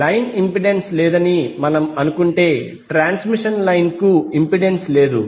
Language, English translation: Telugu, If we assume there is no line impedance means there is no impedance for the transmission line